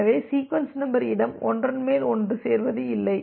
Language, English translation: Tamil, So, that the sequence number space does not get overlapped with each other